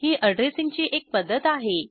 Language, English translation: Marathi, This is one way of addressing